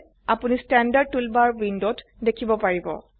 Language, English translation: Assamese, You can see the Standard toolbar on the window